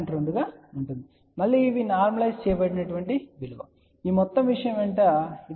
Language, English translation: Telugu, 2; again these are normalized value , along this entire thing this is 0